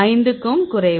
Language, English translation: Tamil, Less than 5